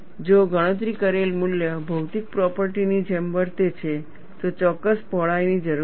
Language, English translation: Gujarati, If the value calculated has to behave like a material property, there is a need for a particular width